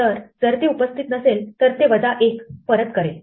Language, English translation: Marathi, So, if it does not occur it will give you minus 1